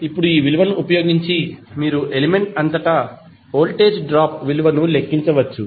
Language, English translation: Telugu, And now using this value you can simply calculate the value of voltage drop across the the element